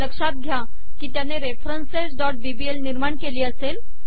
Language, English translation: Marathi, note that it would have created references.bbl